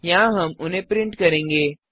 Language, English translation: Hindi, Here we print them